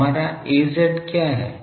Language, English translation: Hindi, So, what is our Az